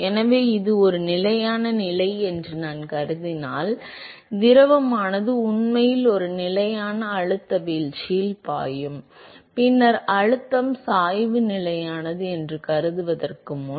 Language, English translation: Tamil, So, if I assume that it is a steady state, where the fluid is actually flowing at a constant pressure drop, then it is prior to assume that the pressure gradient is constant